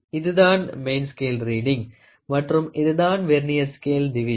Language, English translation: Tamil, So, this is the main scale reading and this is the Vernier scale division, ok